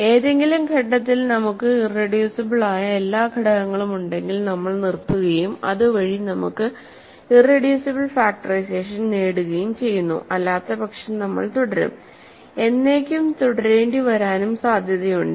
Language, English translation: Malayalam, If at any stage we have all irreducible elements we stop and thereby we achieve our irreducible factorization, otherwise we will continue right and potentially we may have to continue forever